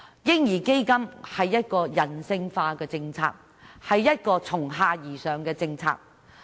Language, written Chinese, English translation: Cantonese, "嬰兒基金"是人性化、從下而上的政策。, A baby fund is a humanistic policy based on a bottom - up approach